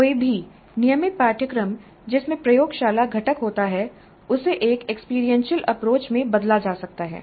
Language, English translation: Hindi, Any regular course which has a lab component can be turned into an experiential approach